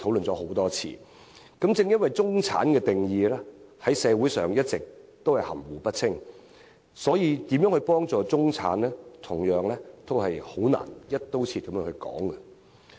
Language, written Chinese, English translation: Cantonese, 正因社會對中產的定義一直含糊不清，所以在如何幫助中產的議題上，同樣難以"一刀切"地討論。, As the definition of middle class in society has all along been ambiguous we cannot easily come up with a for helping the middle class across the board